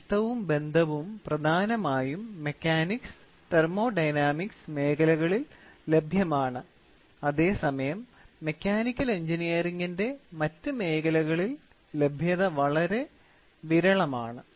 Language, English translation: Malayalam, These loss and relationship are mainly available in the areas of mechanisms and thermodynamics while in the other areas of Mechanical Engineering, the availability are rather scarce